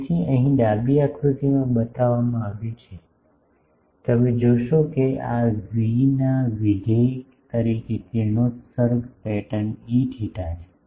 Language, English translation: Gujarati, It has been shown here in the, this left diagram you will see that this is the radiation pattern E theta as a function of v